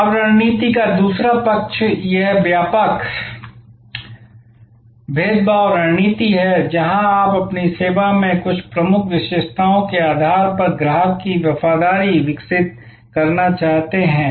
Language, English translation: Hindi, Now, the other side of the strategy is this broad differentiation strategy, where you want to develop the customer loyalty based on some key features in your service